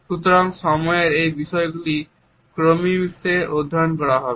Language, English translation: Bengali, So, these aspects of time would be studied in Chronemics